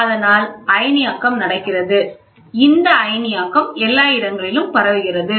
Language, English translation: Tamil, So, there is ionization happening, this ionization can spread everywhere